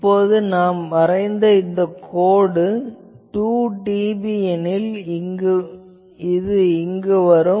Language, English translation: Tamil, Now, in this line you plot that maybe it is let us say 2 dB, so it will come here